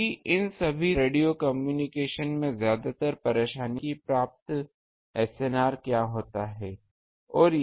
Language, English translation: Hindi, Because all these normal radio communication they are mostly bothered with what is the SNR that is received